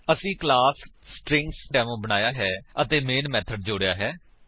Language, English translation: Punjabi, We have created a class StringDemo and added the main method